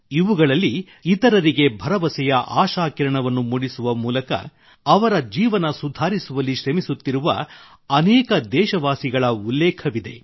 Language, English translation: Kannada, These comprise due mention of many countrymen who are striving to improve the lives of others by becoming a ray of hope for them